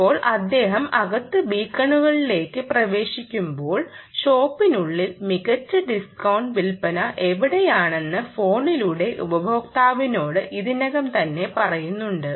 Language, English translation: Malayalam, now, as he enters, beacons inside are already telling the user on the phone about where the best discount sale is available inside the shop